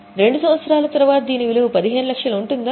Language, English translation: Telugu, After two years, will it have a value of 15 lakhs